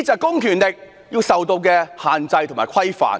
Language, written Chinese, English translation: Cantonese, 公權力要受到限制和規範。, Public powers must be confined and regulated